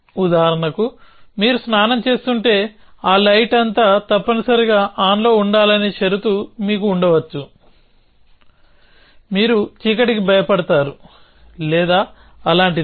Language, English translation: Telugu, for example if you are taking a bath then you might have condition that the light must be on throughout that, you are afraid of the dark or something like that